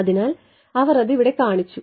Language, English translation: Malayalam, So, they have shown it over here